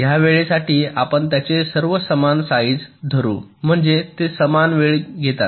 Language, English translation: Marathi, lets assume their all of equal size, means they take equal times